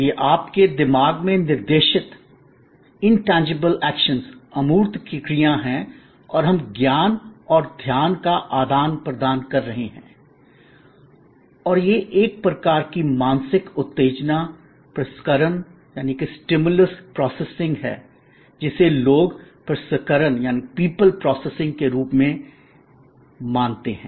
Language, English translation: Hindi, It is an intangible action directed at your mind and we are exchanging knowledge and attention and it is a kind of mental stimulus processing as suppose to people processing